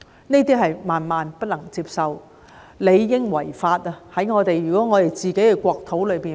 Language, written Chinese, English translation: Cantonese, 這些行為是萬萬不能接受的，如果在我們的國土發生，理當屬違法。, Such actions are totally unacceptable and should be illegal if they happen in our country